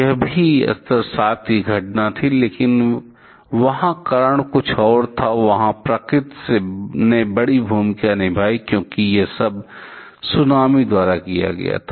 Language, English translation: Hindi, That was also level 7 incident, but there the reason was something else and there nature played a big role, because the everything was initiated by tsunami